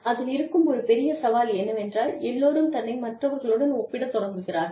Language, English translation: Tamil, And, one big challenge is that, everybody starts comparing, herself or himself, to others